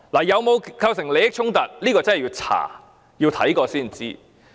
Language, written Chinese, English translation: Cantonese, 有否構成利益衝突，要調查過才知。, Investigation is required to determine if a conflict of interest is involved